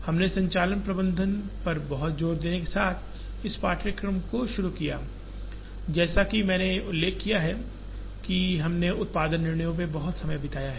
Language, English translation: Hindi, When we started this course with a lot of emphasis on operations management, as I mentioned we have spent a lot of time on production decisions